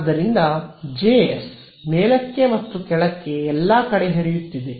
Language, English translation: Kannada, So, J s is flowing all the way up and down over here